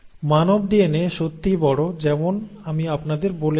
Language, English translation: Bengali, Now, the human DNA as I told you is really big